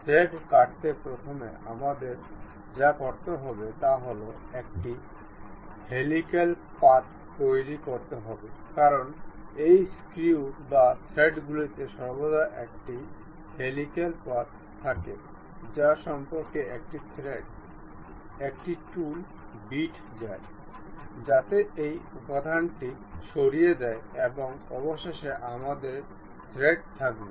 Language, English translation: Bengali, To make thread cut first what we have to do is a helical path because these screws or threads are always be having a helical path about which a thread, a tool bit or cut really goes knife, so that it removes the material and finally, we will have the thread